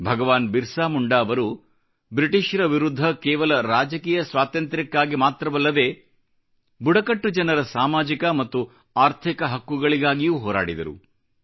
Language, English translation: Kannada, BhagwanBirsaMunda not only waged a struggle against the British for political freedom; he also actively fought for the social & economic rights of the tribal folk